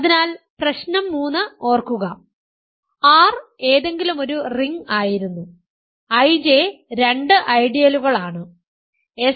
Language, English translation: Malayalam, So, recall for problem 3, the assumption was R any ring; R any ring I J two ideals such that; such that, s